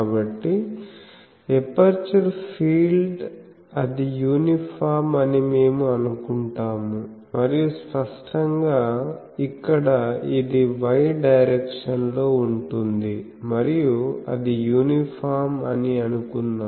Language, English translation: Telugu, So, we can say that the aperture field, we assume that it is uniform and obviously, here it will be y directed as the thing and let us say that it is uniform